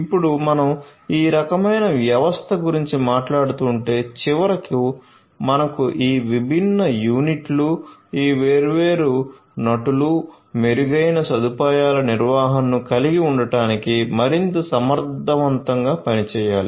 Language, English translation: Telugu, So, now, if we are talking about this kind of system ultimately we need to have these different units, these different actors, work much more efficiently in order to have improved facility management